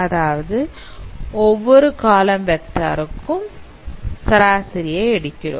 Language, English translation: Tamil, And you can see that every vector is translated towards mean